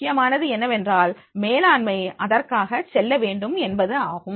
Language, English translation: Tamil, Important is that that is the management should go for it